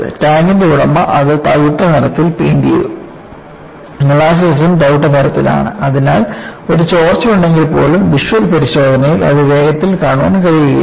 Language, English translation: Malayalam, What happened was the owner of the tank has painted it brown; molasses is also brown in color; so, even if there had been a leak, it was not possible to quickly see it through visual inspection